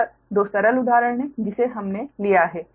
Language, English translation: Hindi, this two simple example we have taken right